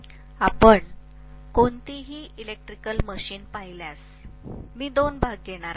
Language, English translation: Marathi, If you look at any electrical machine, I am going to have two portions